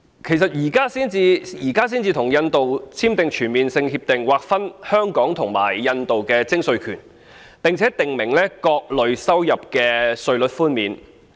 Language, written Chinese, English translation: Cantonese, 為甚麼現在才與印度簽訂全面性協定，劃分香港與印度的徵稅權，並訂明各類收入的稅率寬免？, Why is a Comprehensive Avoidance of Double Taxation Agreement CDTA with India is signed now delineating taxing rights between Hong Kong and India and the relief on tax rates on different types of income?